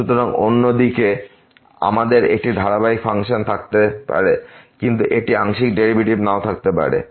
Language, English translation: Bengali, So, other way around, we can have a continuous function, but it may not have partial derivative